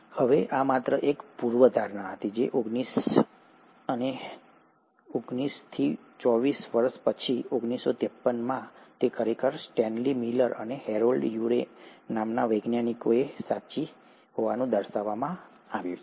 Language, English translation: Gujarati, Now this was just a hypothesis way back in nineteen twenty nine and twenty four years later, in 1953, it was actually demonstrated to be true by Stanley Miller and Harold Urey